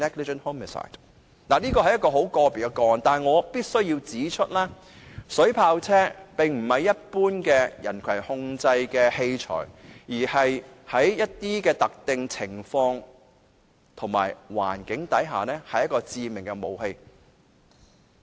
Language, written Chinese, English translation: Cantonese, 當然，這是很個別的個案，但我必須指出，水炮車並非一般的人群控制器材，而是在特定情況和環境下足以致命的武器。, Of course this is a special case but I must say that a water cannon vehicle should not be taken as an ordinary tool for crowd management . Instead it is a lethal weapon in a specified situation or environment